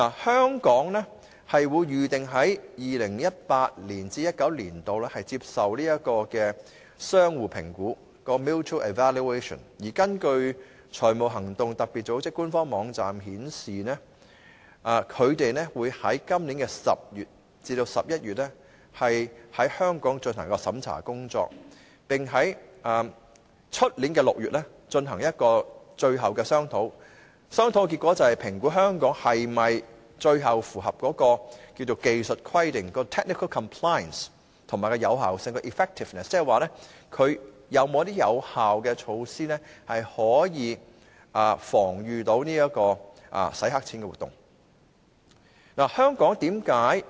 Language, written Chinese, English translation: Cantonese, 香港預定於 2018-2019 年度接受相互評估，而根據財務行動特別組織的官方網站，它將會在今年10月至11月於香港進行審查工作，然後在明年6月進行最後商討，評估香港是否符合技術規定及有效性，即是說香港有否推行有效措施防禦洗黑錢活動。, We are scheduled to undergo a mutual evaluation in 2018 - 2019 and according to the official website of FATF an assessment will be conducted in Hong Kong between October and November this year and a final discussion will be conducted in June next year to evaluate Hong Kongs compliance in terms of technical compliance and effectiveness that is whether or not Hong Kong has implemented effective measures to protect against money laundering